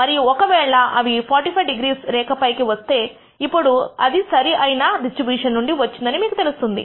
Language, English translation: Telugu, And if they fall on the 45 degree line then you know that it comes from the appropriate distribution